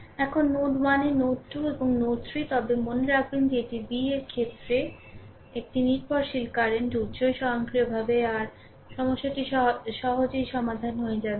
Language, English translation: Bengali, Now, at node 1 node 2 and node 3, but remember that ah here it is a dependent current source in terms of v so, automatically ah your ah your problem will be easily solved